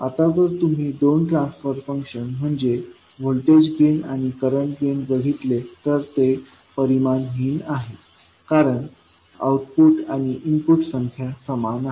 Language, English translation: Marathi, Now if you see the first two transfer function, that is voltage gain and the current gain, these are dimensionless because the output an input quantities are the same